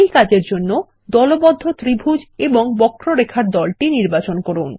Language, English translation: Bengali, To do this, select the grouped triangle and curve